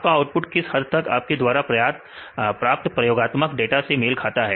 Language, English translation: Hindi, How far the output matches with your experimental known data